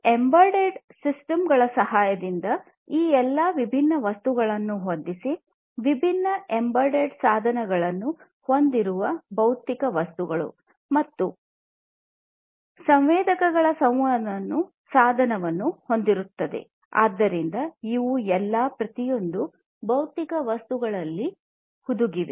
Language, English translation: Kannada, By the help of these embedded systems, fitting all of these different objects, the physical objects with different embedded devices, which again will have sensors communication device, and so on; so all of these are going to be you know embedded into each of these physical objects